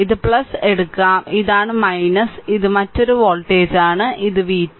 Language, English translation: Malayalam, The way we write that let we clear it actually this voltage it is v 3 right